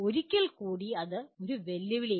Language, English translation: Malayalam, Once again it is a challenge